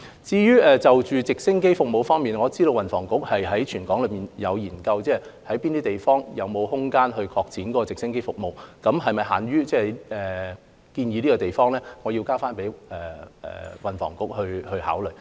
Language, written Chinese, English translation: Cantonese, 至於直升機服務，我知道運輸及房屋局有就全港哪些地方能夠擴展直升機服務進行研究，但是否限於現時建議的地方，我要交回運輸及房屋局考慮。, Regarding helicopter services I understand that the Transport and Housing Bureau has conducted studies on sites suitable for provision of helicopter services in Hong Kong . But as to whether the scope is limited to those places currently proposed I have to refer the matter to the Transport and Housing Bureau for consideration